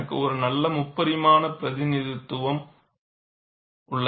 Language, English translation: Tamil, I have a nice three dimensional representation